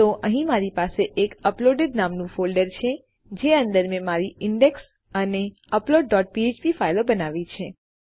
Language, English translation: Gujarati, So here Ive created a folder named uploaded in which Ive created my index and upload dot php files